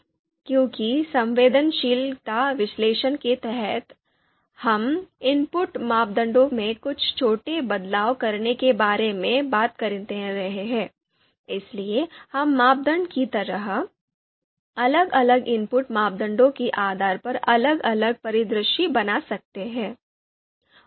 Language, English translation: Hindi, So because we are talking about under sensitivity analysis, we are talking about changes in making certain changes small changes into input parameters, therefore we can check you know we can create different scenarios depending on you know different input parameters, for example criteria